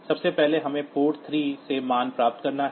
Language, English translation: Hindi, So, p 3 first of all we have to get the value from port 3